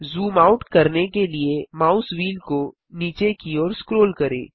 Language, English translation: Hindi, Scroll the mouse wheel downwards to zoom out